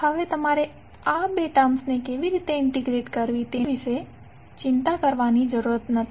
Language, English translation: Gujarati, Now, you need not to worry about how to integrate these two terms